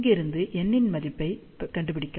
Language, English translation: Tamil, So, from here, we can find the value of n